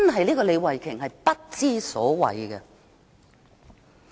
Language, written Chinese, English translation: Cantonese, 這個李慧琼議員真的不知所謂。, This Starry LEE is really ridiculous